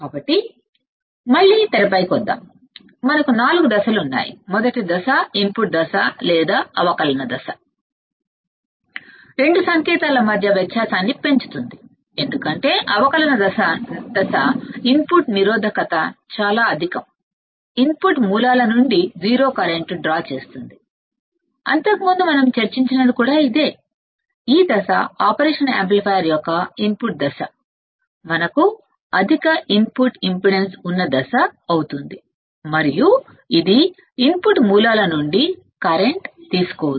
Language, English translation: Telugu, So, again coming back on the screen, what we see is that we have 4 stages, we have 4 stages and the first stage input stage or the differential stage can amplify difference between 2 signals of course, because the differential stage input resistance is very high and draw 0 current from input sources correct this is what we have already discussed earlier also that this; this stage the input stage of the operation amplifier would be a stage in which we have high input impedance and it would draw no current from the input sources